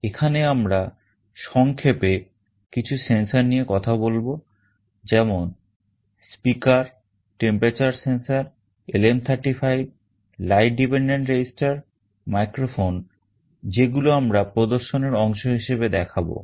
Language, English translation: Bengali, Here we shall be very briefly talking about some of the sensors like speaker, temperature sensor, LM35, light dependent resistor, microphone that we shall be showing as part of the demonstration